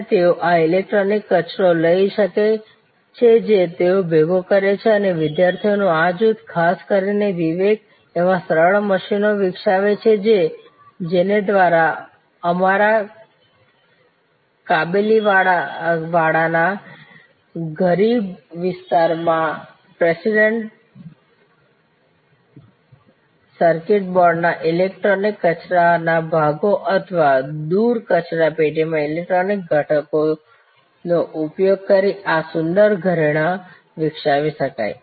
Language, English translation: Gujarati, And they can take this electronic waste which they collect and this group of students particularly Vivek develop simple machines by which our kabaliwalahs rag pickers can develop this beautiful jewelry using electronic waste parts of printed circuit boards or electronic components through in away garbage bin